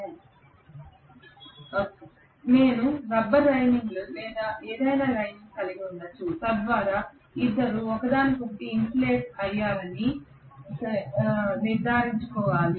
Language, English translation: Telugu, So I may have something like a rubber lining or whatever so that will essentially make sure that the two are insulated from each other